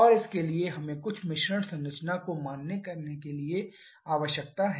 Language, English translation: Hindi, And for that we need to assume some mixture composition